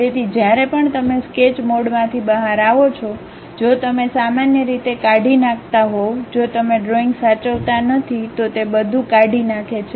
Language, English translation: Gujarati, So, whenever you are coming out of sketch mode if you are deleting usually if you are not saving the drawing it deletes everything